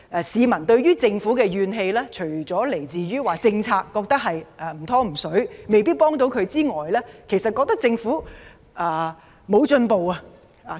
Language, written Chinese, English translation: Cantonese, 市民對政府的怨氣，除了由於覺得"唔湯唔水"的政策無法協助他們外，亦覺得政府不思進取。, Peoples grievances against the Government stem from not only their feeling that its haphazard policies are unable to help them but also their perception that it rests on its laurels and does not think ahead